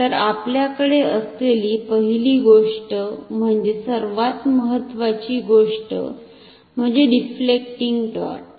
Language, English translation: Marathi, So, the first thing that we have, the most important thing is the deflecting torque